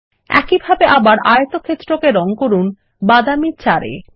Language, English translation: Bengali, Now lets color the rectangle in brown 4 in the same way, again